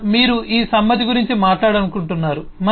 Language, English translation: Telugu, further, you want to talk about this concurrency